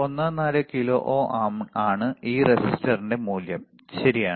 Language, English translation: Malayalam, 14 kilo ohm is the value of this resistor, right